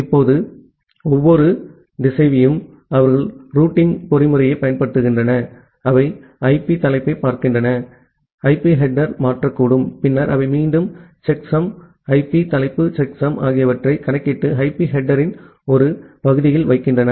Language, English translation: Tamil, Now, every router they apply the routing mechanism, they look into the IP header, they may make they may change the IP header and then they again compute the checksum, the IP header checksum and put it at the part of the IP header